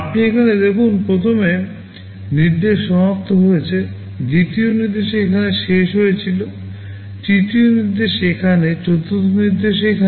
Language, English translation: Bengali, You see here first instruction is finished; second instruction was finished here, third instruction here, fourth instruction here